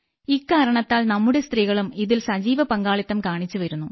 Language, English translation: Malayalam, Accordingly, those women are also displaying active participation in it